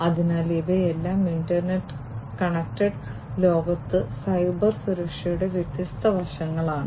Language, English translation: Malayalam, So, these are all the different aspects of Cybersecurity in an internet connected world